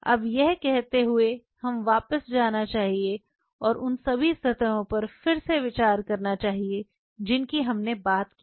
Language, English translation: Hindi, Now, having said this now let us go back and revisit what all surfaces we have talked about